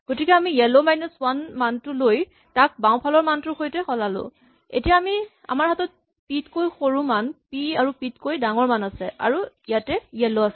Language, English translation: Assamese, So, we take the yellow minus 1 value and exchange it with the left value and now what we need to do is we have now less than p, p, greater than p and this is where yellow is